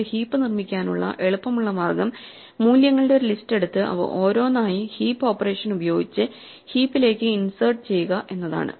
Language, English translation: Malayalam, A naive way to build a heap is just to take a list of values and insert them one by one using the heap operation into the heap